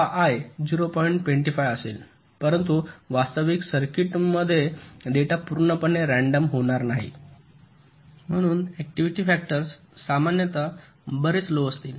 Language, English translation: Marathi, but in real circuits data will not be totally random, so the activity factors will typically will be much less